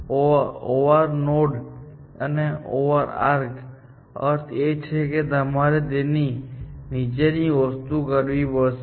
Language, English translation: Gujarati, The meaning of an OR node and OR arc is that you have to do one of the things below that